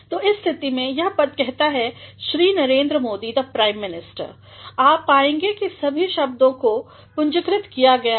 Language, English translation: Hindi, So, in that case, this designation shows Shri Narendra Modi, the Prime Minister you will find that all the words have been capitalized